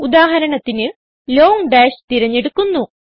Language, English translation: Malayalam, For eg I will select Long dash